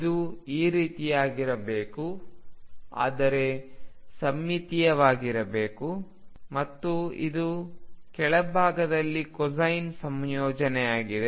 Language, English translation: Kannada, It could also be like this, but symmetric and this is the combination of you know higher cosine on the lower side